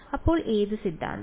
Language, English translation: Malayalam, So which theorem